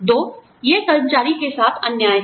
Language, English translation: Hindi, Two, it is unfair to the employee